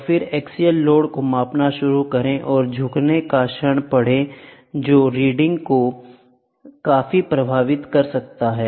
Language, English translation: Hindi, And then, start measuring axial load and bending moment can be significantly affecting the reading, ok